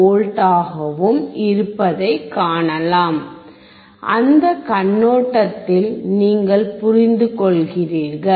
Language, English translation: Tamil, 12V so, you understand from that point of view